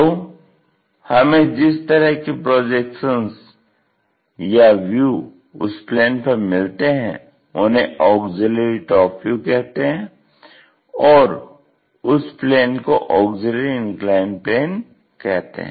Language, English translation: Hindi, And, that kind of plane is called auxiliary top view and the auxiliary plane is called auxiliary inclined plane